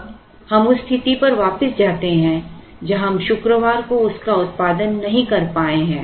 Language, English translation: Hindi, Now, let us go back to the situation where we have not been able to produce it on Friday